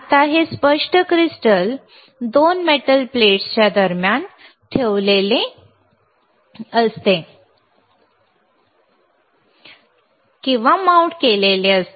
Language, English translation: Marathi, Now, this clear crystal is placed or mounted between 2 metal plates which you can see here right